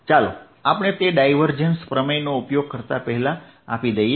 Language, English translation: Gujarati, let us give that before using divergence theorem